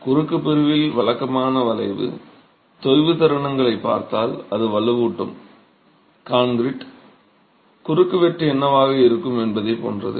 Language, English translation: Tamil, So, if you look at regular bending, sagging moments on the cross section, it's very similar to what a reinforced concrete cross section would be